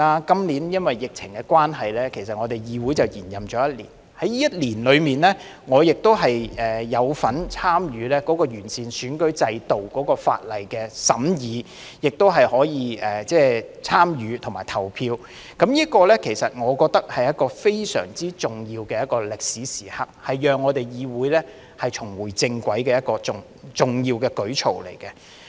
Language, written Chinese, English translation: Cantonese, 今年由於疫情關係，我們議會已延任一年，在這一年中，我亦有份參與完選舉制度法例的審議和投票，我認為這是非常重要的歷史時刻，是讓我們議會重回正軌的重要舉措。, This year because of the epidemic the term of office of our Council has been extended for one year . During this year I have also taken part in the scrutiny and voting on the legislation for improving the electoral system . In my view this is a very important historical moment and an important initiative to put our Council back on the right track